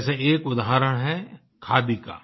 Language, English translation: Hindi, One such example is Khadi